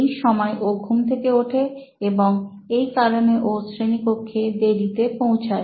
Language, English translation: Bengali, So it’s very late that he wakes up and hence actually comes to class late